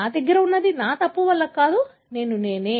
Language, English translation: Telugu, Whatever I have is not because of my fault, I am what I am